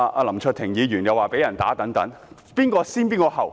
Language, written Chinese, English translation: Cantonese, 林卓廷議員又說被人毆打等。, Mr LAM Cheuk - ting said he was assaulted